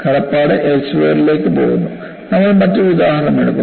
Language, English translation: Malayalam, And the courtesy goes to Elsevier, and we will take up another example